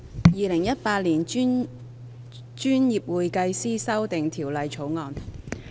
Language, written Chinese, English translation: Cantonese, 《2018年專業會計師條例草案》。, Professional Accountants Amendment Bill 2018